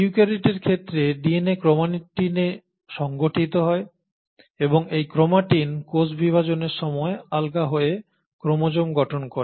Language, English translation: Bengali, So the DNA in case of eukaryotes is organised into chromatins, and this chromatin will loosen up to form chromosomes at the time of cell division